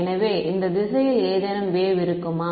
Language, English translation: Tamil, So, will there any be any wave in this direction